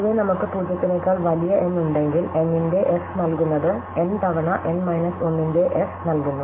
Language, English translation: Malayalam, And in general, if we have n greater than 0, then f of n is given by n times f of n minus 1